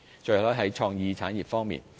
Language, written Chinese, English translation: Cantonese, 最後，是創意產業方面。, Last but not least it is the creative industries